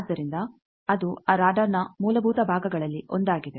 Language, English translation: Kannada, So, it is one of the fundamental parts of that radar